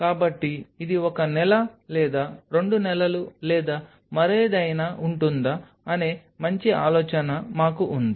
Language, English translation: Telugu, So, we have a fairly good idea that whether it will last a month or two months or whatever